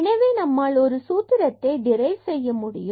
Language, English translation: Tamil, So, we will derive this formula now